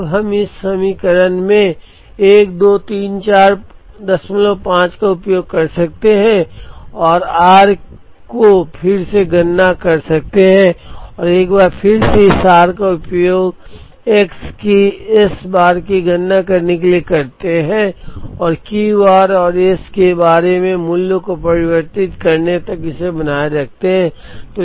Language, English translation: Hindi, 5 into this equation and compute r again and once again use this r to compute S bar of x and keep iterating till the values of Q r and S bar of x converge